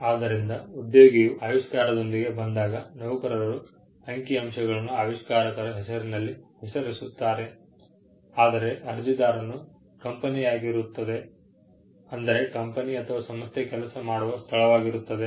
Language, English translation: Kannada, So, when an employee comes with an invention, the employees name figures as the inventor’s name, whereas, the applicant will be the company itself; company or the organization to where the employee works